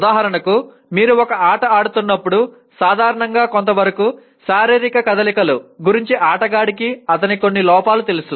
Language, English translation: Telugu, For example when you are playing a game, to a certain extent because it is physical movements a player is generally aware of some of his defects